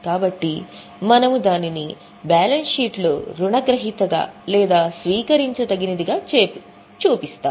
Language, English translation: Telugu, So, we show it in the balance sheet as a debtor or a receivable